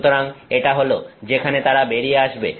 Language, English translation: Bengali, So, this is where they are coming out